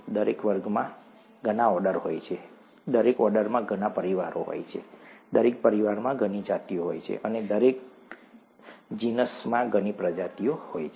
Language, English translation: Gujarati, Each class has many orders, each order has many families, each family has many genuses, and each genus has many species